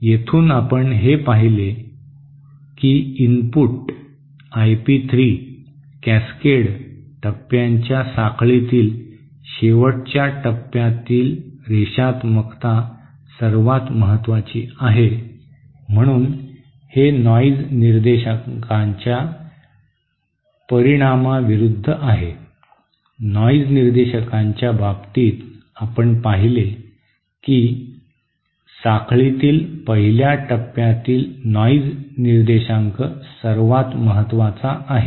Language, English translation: Marathi, So from here that we see that the input, that I p 3, the linearity of the end stage in the in the chain of cascaded stages matters the most, so this is opposite to the effect of the noise figure, in case of noise figure we saw that the noise figure of the 1st stage in the chain matters the most